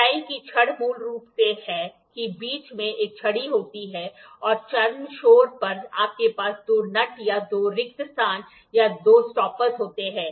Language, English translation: Hindi, Tie rods are basically there is a rod in between and the extreme ends you have two nuts or two spaces or two stoppers